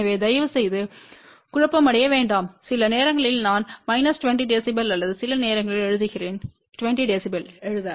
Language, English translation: Tamil, So, please don't get confused sometimes I write minus 20 db or sometimes write 20 db